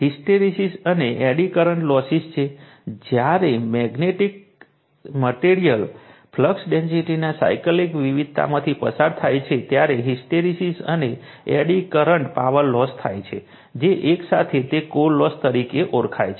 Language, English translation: Gujarati, So, hysteresis and eddy current losses, when magnetic materials undergoes cyclic variation of flux density right, hysteresis and eddy current power losses occur in them, which are together known as core loss